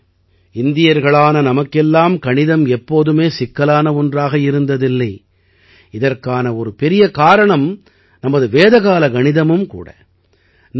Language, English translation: Tamil, Friends, Mathematics has never been a difficult subject for us Indians, a big reason for this is our Vedic Mathematics